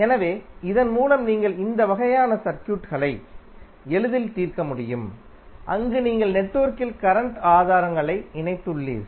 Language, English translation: Tamil, So, with this you can easily solve these kind of circuits, where you have current sources connected in the network